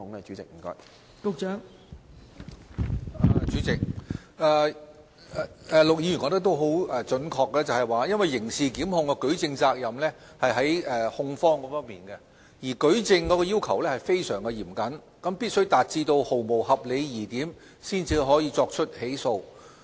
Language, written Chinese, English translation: Cantonese, 代理主席，陸議員準確指出，刑事檢控的舉證責任在於控方，而舉證的要求亦非常嚴謹，必須達至毫無合理疑點才能作出起訴。, Deputy President Mr LUK has accurately pointed out that the onus of proof in criminal prosecution lies with the prosecution . Given the highly stringent standard of proof prosecution must only be instituted beyond reasonable doubt